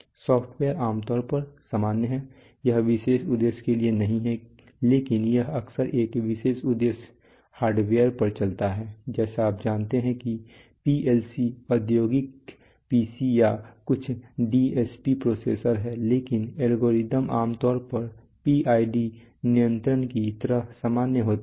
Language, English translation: Hindi, The software is generally generic it is not very special purpose but it runs on, often it runs on special purpose hardware like you know like PLC is industrial pcs or some DSP processors so but the algorithms are generally generic like a PID control